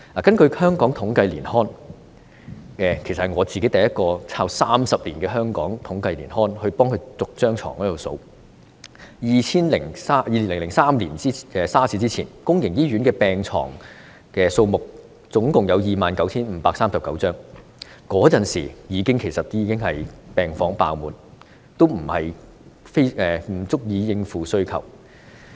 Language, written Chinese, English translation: Cantonese, 根據香港統計年刊——其實我是第一個翻查30年來香港統計年刊的人，逐年翻查床位的數目 ——2003 年 SARS 之前，公營醫院的病床數目共有 29,539 張，當時病房已經爆滿，不足以應付需求。, In accordance with the Hong Kong Annual Digests of Statistics―in fact I am the first one to check the Hong Kong Annual Digests of Statistics for these 30 years to find out the numbers of hospital beds in respective years―in 2003 before the outbreak of SARS there were a total of 29 539 beds in public hospitals and at that time the wards were already too full to cope with the demand